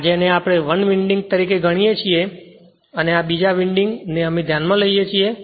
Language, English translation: Gujarati, This one we consider as 1 winding and this one, we consider another winding right